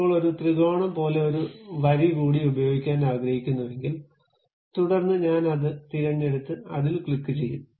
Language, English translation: Malayalam, Now, I would like to use one more line to join like a triangle, then I will pick that one and click that one